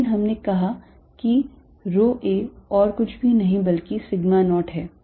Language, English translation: Hindi, But, rho a we have said is nothing but sigma naught